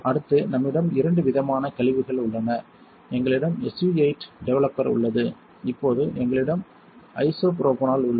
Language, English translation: Tamil, Next we have two different kind of wastes; we have SU 8 developer and we have isopropanol now